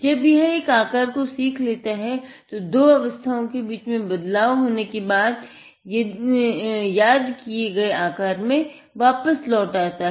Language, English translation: Hindi, Once it learns one shape, while the transition happens between the two state, it would go back to the memorized shape